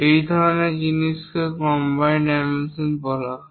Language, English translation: Bengali, Such kind of things are called combined dimensioning